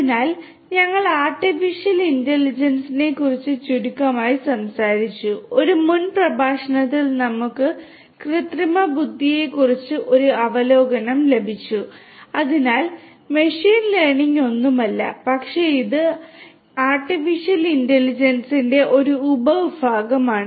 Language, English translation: Malayalam, So, we have spoken about artificial intelligence briefly we have got an overview of artificial intelligence in an earlier lecture and so, machine learning is nothing, but it is a subset of artificial intelligence